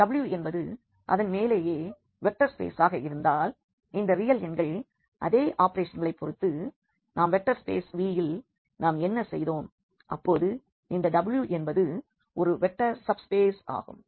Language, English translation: Tamil, If this W itself is a vector space over the same the set of these real numbers with respect to the same operations what we are done in the vector space V then this W is called a vector subspace